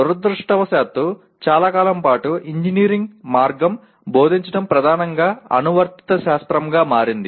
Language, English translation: Telugu, Unfortunately over a long period of time, engineering way it is taught has predominantly become applied science